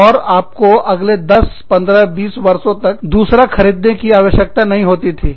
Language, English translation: Hindi, And, you never, you did not need to buy another one, for the next 10, 15, 20 years